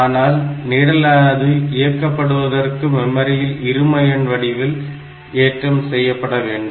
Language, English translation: Tamil, So, to execute a program, the user will enter instructions in binary format into the memory